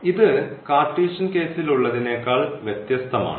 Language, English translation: Malayalam, So, this is let us different than what we have in the Cartesian case